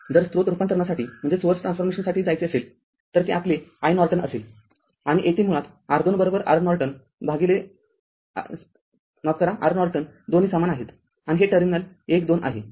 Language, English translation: Marathi, And if you go for source transformation, so, it will be your i Norton right and this will be your basically R Thevenin is equal to R Norton both are same and this is terminal 1 2